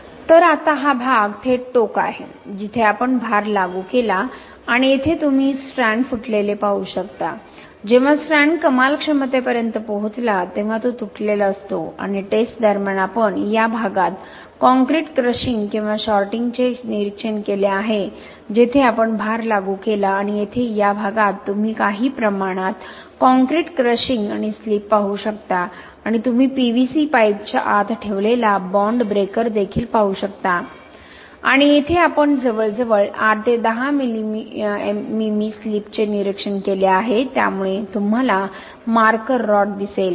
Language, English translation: Marathi, So now this region is the live end where we applied the load and here you can see the strand rupture, when the strand is reached to is maximum capacity it has broken and during the testing we have observed concrete crushing or shortening at this region where we applied the load and here in this region you can see some amount of concrete crushing and slip and also you can see the bond breaker placed inside the PVC pipe and here we have observed almost 8 to 10 mm slip, so you can see the marker rod placed before placing the specimen for testing and after testing you can see almost 8 to 10 mm, it is almost 1 cm slip occurred due to the pull out test